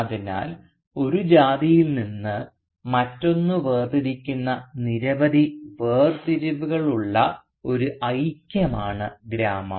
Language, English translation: Malayalam, So the village is a unity which has a number of segregating lines separating one caste from the other